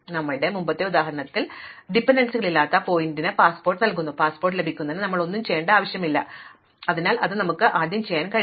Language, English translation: Malayalam, In our earlier example, the vertex which had no dependencies was getting a passport, we did not need to do anything before getting a passport, so we can do that first